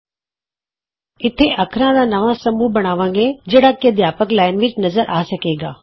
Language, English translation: Punjabi, Here we create new set of characters that can be displayed in the Teachers Line